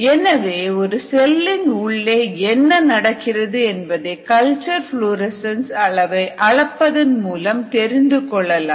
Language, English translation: Tamil, so this is the nice indication of what is happening inside the cell just by measuring the culture florescence